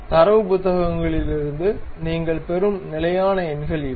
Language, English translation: Tamil, These are the standard numbers what you will get from data books